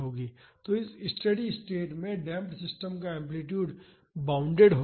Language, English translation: Hindi, So, the amplitude of the damped system will be bounded at this steady state